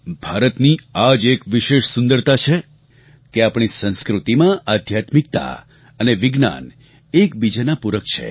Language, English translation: Gujarati, This is India's unique beauty that spirituality and science complement each other in our culture